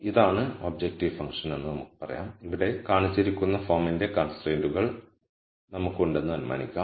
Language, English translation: Malayalam, So, let us say this is the objective function and let us assume that we have constraints of the form shown here